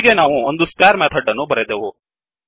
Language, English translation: Kannada, So we have written a square method